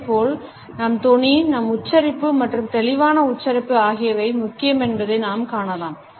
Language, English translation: Tamil, Similarly we find that intonation our tone, our pronunciation, and the clarity of articulation are also important